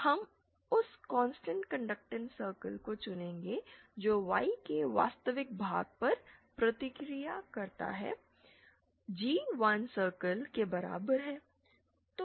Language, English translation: Hindi, We choose that conductance constant conductance circle that responds to the real part of Y being one was the G equals to 1 circle